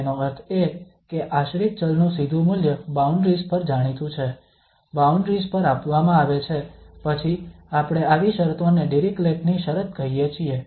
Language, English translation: Gujarati, That means the direct value of the, direct value of the dependent variable is known at the boundaries, given at the boundaries then we call such conditions as Dirichlet condition